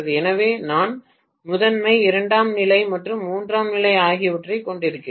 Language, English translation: Tamil, So I am having primary, secondary and tertiary